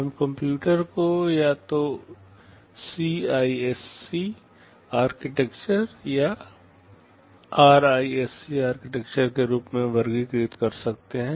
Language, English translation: Hindi, We can classify computers as either a CISC architecture or a RISC architecture